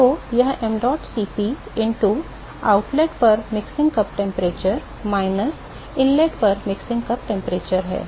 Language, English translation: Hindi, So, that is given by mdot Cp into the mixing cup temperature at the outlet minus the mixing cup temperature at the inlet